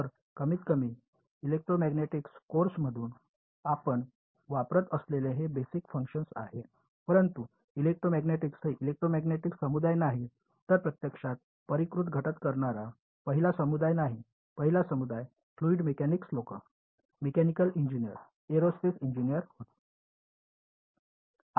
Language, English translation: Marathi, So, at least as far as electromagnetics course these are the kinds of basis functions we use, but electromagnetics are not the electromagnetic community is not the first community to do finite element in fact, the first community were fluid mechanics people, mechanical engineer, aerospace engineers